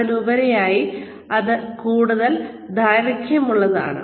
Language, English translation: Malayalam, It is more, it is of a longer duration